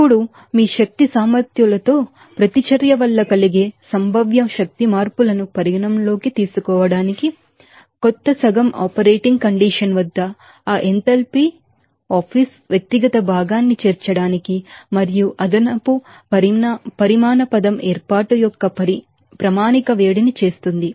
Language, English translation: Telugu, Now, to take account of that possible energy changes caused by a reaction in the energy balance, the new half to incorporate in that enthalpy apiece individual constituent at operating condition and an additional quantity term does a standard heat of formation